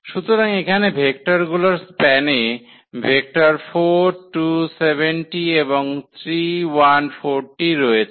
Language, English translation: Bengali, So, here is the vector here in the span of the vectors 4, 2, 7 and 3, 1, 4